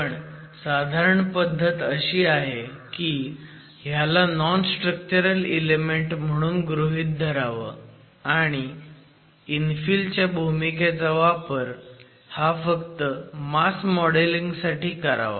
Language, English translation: Marathi, The standard practice has been to consider this as a non structural element and use the role played by the infill only in terms of the mass modeling